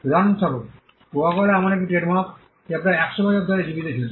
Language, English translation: Bengali, For instance, Coca Cola is a trademark which has been kept alive for close to 100 years